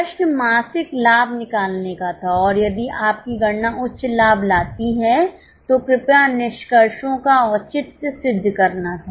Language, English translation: Hindi, The question was find monthly profits and if your calculation brings out higher profits kindly justify the findings